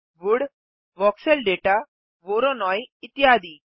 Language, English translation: Hindi, Wood, Voxel data, voronoi, etc